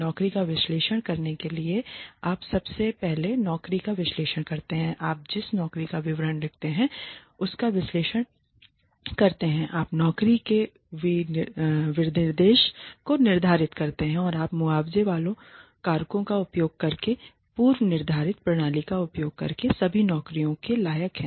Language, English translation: Hindi, You first conduct the job analysis in order to evaluate a job you analyze the job, you write the descriptions, you determine the job specifications then you rate the worth of all jobs using a predetermined system using compensable factors